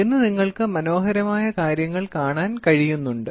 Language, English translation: Malayalam, Today you can see beautiful things have come